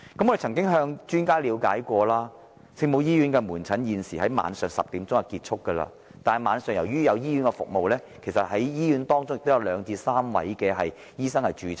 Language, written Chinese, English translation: Cantonese, 我們曾向專家了解，聖母醫院的門診現時在晚上10時便會結束，但由於醫院在晚上亦有提供服務，其實醫院會有約兩位至3位醫生駐診。, We have made enquiries with experts and found that OLMH now will stop providing outpatient services at 10col00 pm but given that services will still be provided at night by OLMH two to three doctors will actually be stationed in the hospital